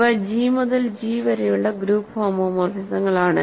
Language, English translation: Malayalam, These are group homomorphisms from G to G